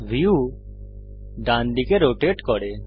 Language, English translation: Bengali, The view rotates to the right